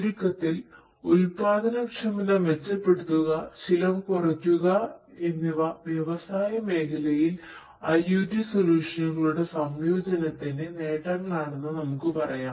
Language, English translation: Malayalam, So, improving the productivity, reducing the cost is essentially in a nutshell we can say that are the benefits of integration of IoT solutions in the industry sector